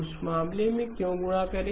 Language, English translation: Hindi, In that case why multiply